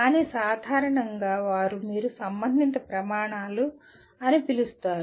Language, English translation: Telugu, But normally they do get addressed through what you call relevant standards